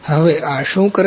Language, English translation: Gujarati, Now what does this do